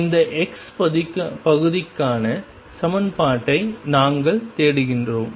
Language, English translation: Tamil, And we are looking for the equation for this psi x part